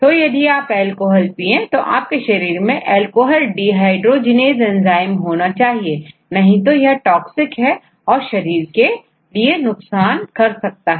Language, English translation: Hindi, So, if you want to consume alcohol you should have this enzyme alcohol dehydrogenase; because otherwise, it is toxic alcohol is toxic so that is it is a problem